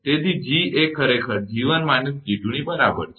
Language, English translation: Gujarati, So, G is equal to actually G1 minus G2